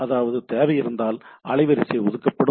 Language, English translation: Tamil, So, it is not guaranteed bandwidth